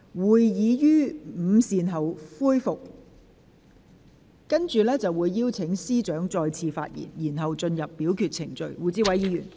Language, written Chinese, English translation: Cantonese, 會議將於午膳後恢復，屆時我會邀請律政司司長再次發言，之後便進入表決程序。, The meeting will resume after lunch and I will then call upon the Secretary for Justice to speak again . After that we will proceed to vote